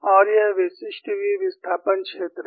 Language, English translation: Hindi, This is a very typical sketch of v displacement field